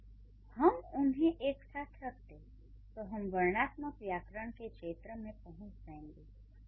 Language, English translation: Hindi, If we can put them together then this will come under the domain of descriptive grammar, right